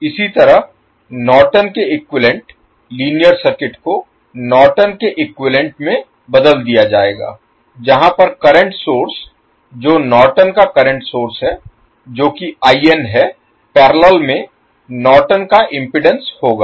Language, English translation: Hindi, Similarly, in case of Norton’s equivalent linear circuit will be converted into the Norton’s equivalent where current source that is Norton’s current source that is IN will have the Norton’s impedance in parallel